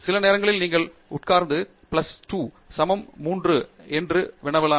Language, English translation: Tamil, Or sometimes, I even say that maybe you sit down and ask is really 1 plus 2 equals 3 and so on